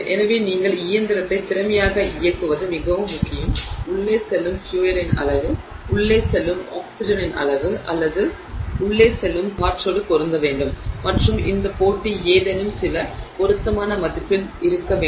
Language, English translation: Tamil, So, it is very important that for you to run the engine efficiently, the amount of fuel that goes in should be matched with the amount of oxygen that goes in or air that goes in and this match should be at some appropriate value so that the fuel is completely burnt